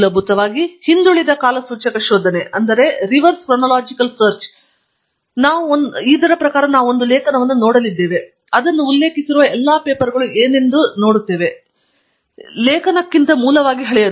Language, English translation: Kannada, The backward chronological search basically what it means is that we are going to look at an article, and see what are all the papers that it is referring to, which will be basically older than the article